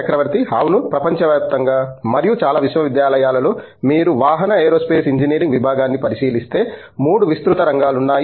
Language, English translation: Telugu, Yeah, broadly across the world and most universities, if you look at vehicle Aerospace Engineering Department, there are 3 broad areas